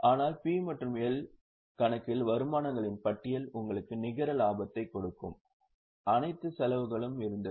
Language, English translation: Tamil, But in P&L account there was a list of incomes lessed all the expenses giving you net profit